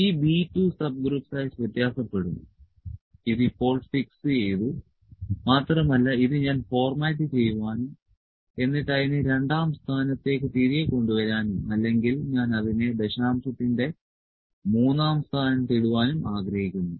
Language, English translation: Malayalam, This B 2 subgroup size will vary this is fixed now and I would also like to format it were bring it back to the second place of or I can put it to the third place of decimals